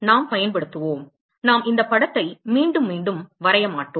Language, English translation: Tamil, We will be using, we will not I will not be drawing this picture again and again